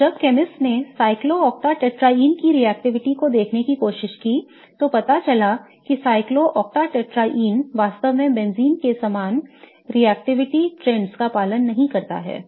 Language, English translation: Hindi, So, in fact, when chemists tried to see the reactivity of cyclocta tetrae turns out that cyclocta tetraein really doesn't follow the same reactivity trends of benzene